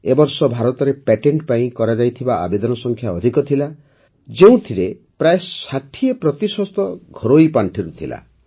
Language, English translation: Odia, This year, the number of patents filed in India was high, of which about 60% were from domestic funds